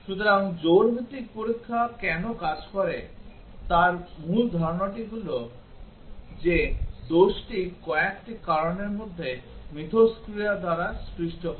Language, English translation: Bengali, So, the main idea why pair wise testing works is that the fault is caused by interaction among a few factors